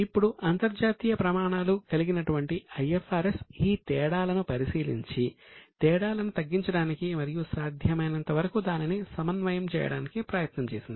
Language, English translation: Telugu, Now, international standard which is IFRS has been examined and effort has been made to bring down the differences and as far as possible harmonize the same